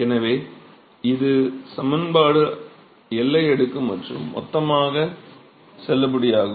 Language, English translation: Tamil, So, this equation is valid both in boundary layer and in bulk